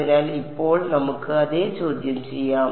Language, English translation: Malayalam, So, now, let us let us yeah question